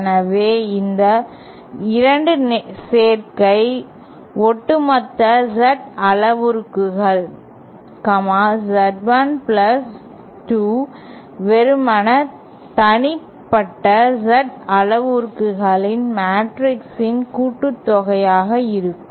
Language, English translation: Tamil, So, this 2 combination, the overall Z parameters, Z1+2 is simply the addition of the individual Z parameters matrix